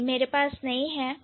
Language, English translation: Hindi, I don't think I have